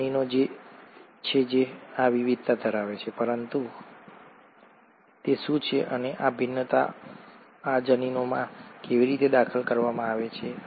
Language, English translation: Gujarati, It is the genes which carry these variations, but, what is it and how are these variations introduced into these genes